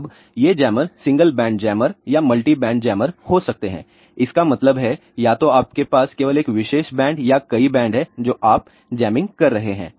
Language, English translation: Hindi, Now, this jammers can be single band jammer or multi band jammer; that means, either you have just jamming only one particular band or multiple band you are doing